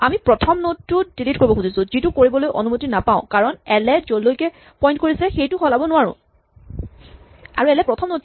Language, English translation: Assamese, So, we wanted to delete the first node, we are not allowed to delete the first node because we cannot change what l points to